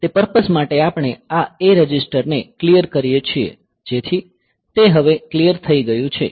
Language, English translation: Gujarati, So, for that purpose we clear this A register; so, that it is cleared now